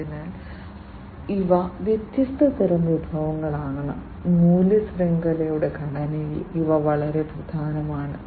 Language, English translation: Malayalam, So, these are the different types of resources, these are very important in the value chain structure